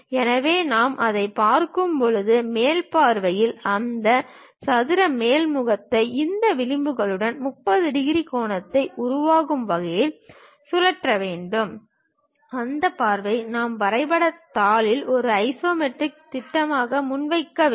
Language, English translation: Tamil, So, from top view we are looking at it, we have to rotate that square top face in such a way that it makes 30 degree angle with these edges; that view we have to present it on the drawing sheet as an isometric projection